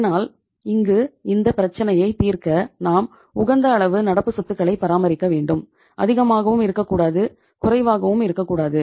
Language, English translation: Tamil, So in this case how to solve the problem of having the level of current assets which is called as optimum, neither too high nor too low